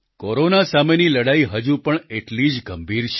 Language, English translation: Gujarati, The fight against Corona is still equally serious